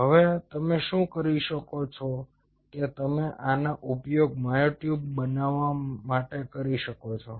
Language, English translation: Gujarati, ok, now what you can do is you can use these to grow myotubes